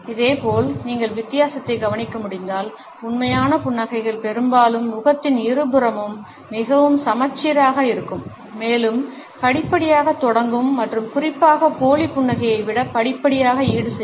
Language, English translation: Tamil, Similarly, if you are able to notice the difference then genuine smiles are often more symmetrical on both side of the face and have a much more gradual onset and particularly the much more gradual offset than fake smiles